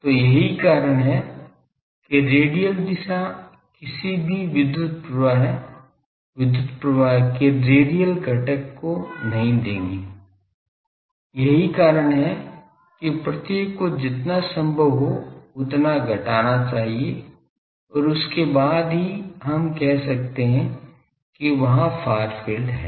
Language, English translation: Hindi, So, that is why radial direction will not give any power flow, radial component of electric field; that is why each should be curtailed as much as possible and then only we can say far field has been there